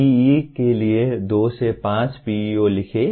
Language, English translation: Hindi, Write two to five PEOs for a B